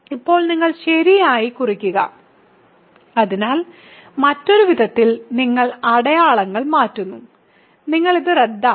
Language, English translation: Malayalam, So, now, you subtract right, so in other words you change signs; so you cancel this